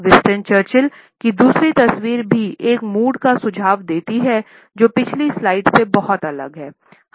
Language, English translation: Hindi, Other photograph of Winston Churchill also suggests a mood which is very different from the one displayed in the previous slide